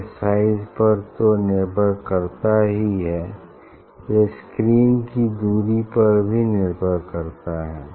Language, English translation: Hindi, the size generally is depends on size as well as depends on distance of the screen also